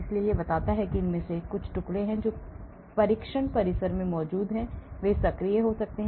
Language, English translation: Hindi, so it tells that some of these fragments are there is present in the test compound they may be activating